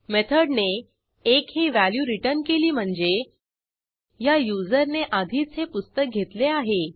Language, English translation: Marathi, So, If the method returns 1 then it means the same user has already borrowed this book